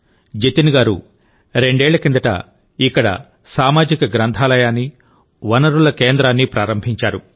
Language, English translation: Telugu, Jatin ji had started a 'Community Library and Resource Centre' here two years ago